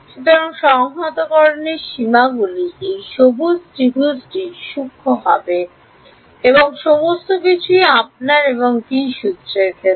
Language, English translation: Bengali, So, the limits of integration will be this green triangle fine and everything is in terms of u and v fine